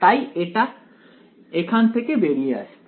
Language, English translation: Bengali, So, it is all going to just pop out over here